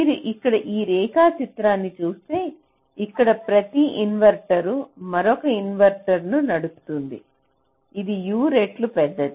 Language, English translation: Telugu, you see, here, you look at this diagram again ah, here each inverter is driving another inverter which is u time larger, one into u, u, u, into u, u square